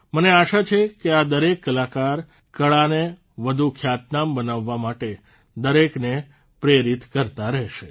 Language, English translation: Gujarati, I hope that all these artists will continue to inspire everyone at the grassroots towards making performing arts more popular